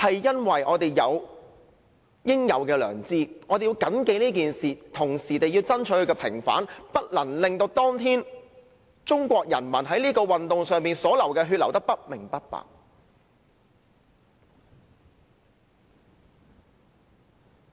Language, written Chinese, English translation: Cantonese, 因為我們有應有的良知，我們要緊記這件事，同時要爭取平反，不能令當天中國人民在這運動上流的血流得不明不白。, It is because we have the conscience that we should have . We should bear this incident in mind while fighting for its vindication so that the blood of the Chinese people in this movement was shed not for no reason